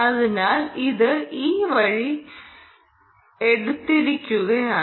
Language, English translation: Malayalam, so it has taken this route